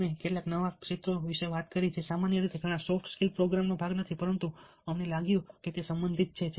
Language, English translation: Gujarati, we talked about certain new areas which were not a part are generally are not a part of many of these soft skills programs, but we thought that they were relevant